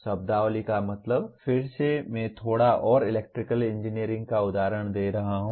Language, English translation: Hindi, Terminology will mean again I am giving a bit more of electrical engineering example